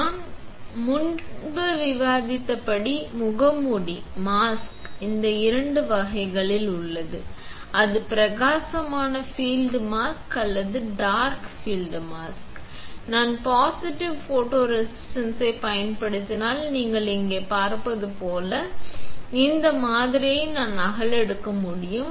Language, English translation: Tamil, As we discussed earlier, the mask; mask are of two types, either it is bright field mask or a dark field mask, if I use a positive photoresist then I can replicate this pattern as you can see here